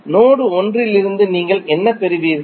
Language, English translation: Tamil, What you will get from node 1